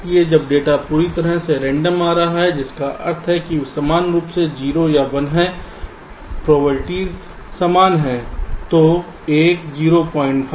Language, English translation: Hindi, so when the data which is coming is totally random, which means they are equally zero or one, the probabilities are equal